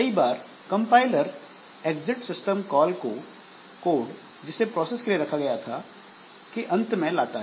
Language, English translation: Hindi, So, many a time the compiler will introduce some exit system call at the end of the code that is generated for a process